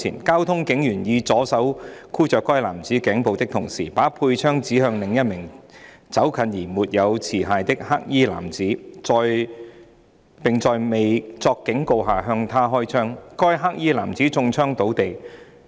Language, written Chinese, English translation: Cantonese, 交通警員以左手箍着該男子頸部的同時，把佩槍指向另一名走近而沒有持械的黑衣男子，並在未作警告下向他開槍，該黑衣男子中槍倒地。, While grabbing that man in a headlock with his left arm the traffic police officer pointed his service revolver at another unarmed black - clad man walking toward him and fired at him without giving a warning . The black - clad man was shot and fell to the ground